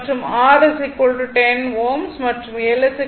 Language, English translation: Tamil, And R is equal to 10 ohm, and L is equal to 0